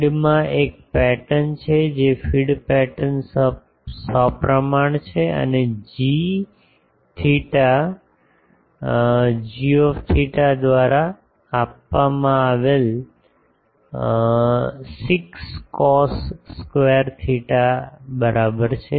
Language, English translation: Gujarati, The feed is having a pattern which is feed pattern is symmetrical and given by g theta is equal to 6 cos square theta